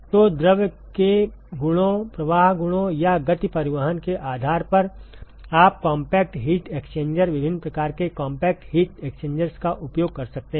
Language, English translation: Hindi, So, depending upon the properties of the fluid, the flow properties or the momentum transport, you can use compact heat exchanger, different types of compact heat exchangers